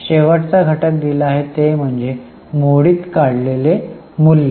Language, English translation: Marathi, And the last item given over here is salvage value